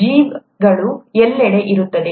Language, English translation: Kannada, The organisms are present everywhere